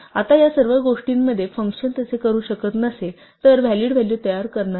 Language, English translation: Marathi, Now, in all these things the function will not produce a valid value if it cannot do so